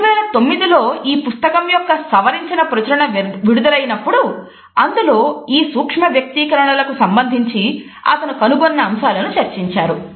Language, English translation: Telugu, But the revised version came up in 2009 and it was in the 2009 edition that he has incorporated his findings about what he has termed as micro expressions